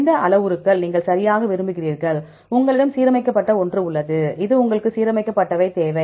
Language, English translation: Tamil, Which parameters you want right, you have the aligned one, you need the aligned ones